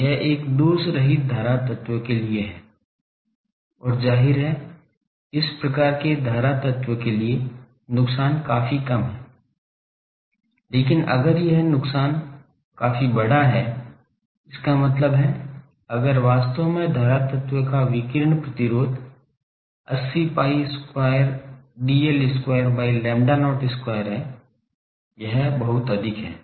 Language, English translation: Hindi, So, this is for a lossless current element and; obviously, the losses for a this type of current element is quite small, but if it loss is sizable; that means, if actually for current element the radiation resistance, this 80 pi square dl square by lambda not square is also very high